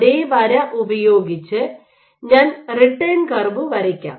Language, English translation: Malayalam, Let me draw the return with the same line